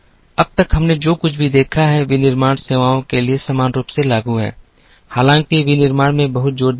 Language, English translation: Hindi, Till now whatever we have looked at manufacturing is equally applicable to the service, though a lot of emphasis has gone into manufacturing